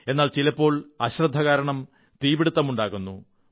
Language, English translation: Malayalam, But, sometimes fire is caused due to carelessness